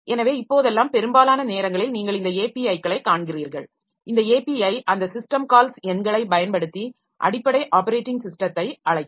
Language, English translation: Tamil, So, so most of the time nowadays you will find these APIs and these APIs so they will ultimately call the underlying system, underlying operating system using those system called numbers